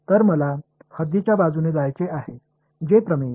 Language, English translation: Marathi, So, I want to go along the boundary so, which theorem